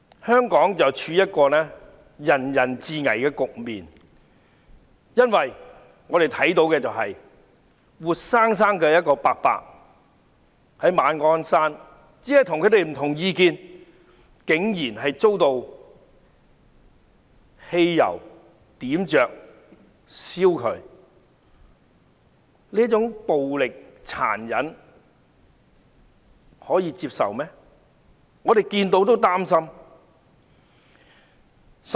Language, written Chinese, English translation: Cantonese, 香港正處於人人自危的局面，我們看到馬鞍山一名老伯伯只是跟其他人持不同意見，竟然遭人淋汽油後點火活生生燃燒，這種殘忍的暴力是可以接受的嗎？, Hong Kong has reached the point where everybody feels insecure . An old man who holds a different view from others was poured gasoline and set ablaze alive . Can we accept such brutality?